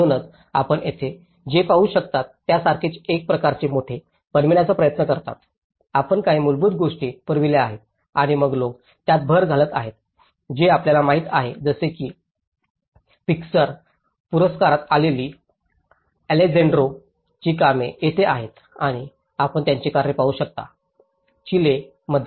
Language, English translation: Marathi, So, they try to make in a kind of bigger like what you can see here, is you provide some basic things and then people add on to it you know like here the Alejandro’s work which has been in Pritzker award and you can see his work in Chile